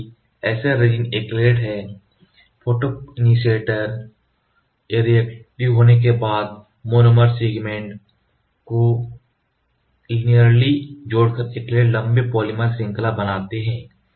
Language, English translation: Hindi, Since SL resins were acrylate the acrylates form long polymer chain once the photoinitiators becomes ‘reactive’ building the molecular linearly by adding monomer segments